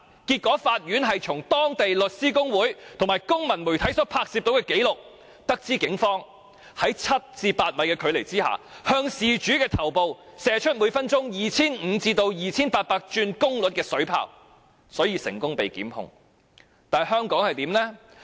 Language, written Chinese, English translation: Cantonese, 結果，法院是從當地律師公會和公民媒體所拍攝的紀錄中，得知警方在只有七八米的距離下，向事主頭部射出每分鐘 2,500 轉至 2,800 轉功率的水炮，因而成功作出檢控。, In the end footages recorded by the Law Society and public media in Korea enabled the court to be informed that the Police had used a water cannon of power ranging from 2 500 to 2 800 units per minute to shoot at the victims head within a distance of only 7 m to 8 m Prosecution was therefore successfully instituted